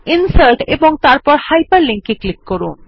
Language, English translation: Bengali, Click on Insert and Hyperlink